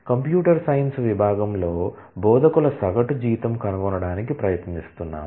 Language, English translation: Telugu, So, we are trying to find the average salary of instructors in computer science department